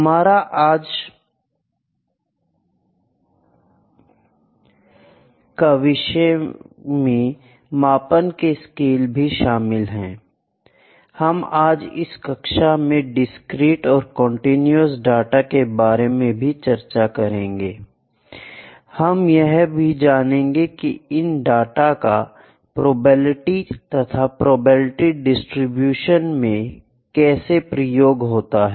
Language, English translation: Hindi, Then we will discuss the scales of measurement, then I will discuss about discrete and continuous data and how these are used in probability and probability distributions